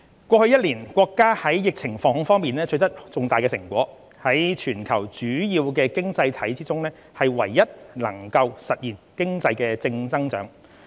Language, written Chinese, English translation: Cantonese, 過去一年，國家在疫情防控方面取得重大成果，在全球主要經濟體中唯一能夠實現經濟正增長。, Over the past year our country has achieved major strategic achievement in curbing COVID - 19 and is the worlds only major economy to achieve positive economic growth